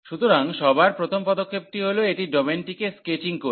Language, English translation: Bengali, So, the first step always it should be the sketching the domain